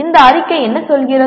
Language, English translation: Tamil, What does the statement say